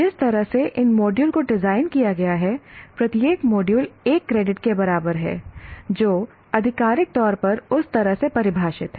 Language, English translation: Hindi, Now the way these modules are designed, each module constitutes equivalent of one credit